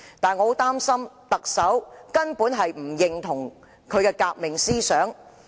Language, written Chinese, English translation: Cantonese, 但是，我很擔心特首根本不認同孫中山的革命思想。, However I am very concerned as to whether the Chief Executive actually subscribes to the revolutionary ideas of Dr SUN Yat - sen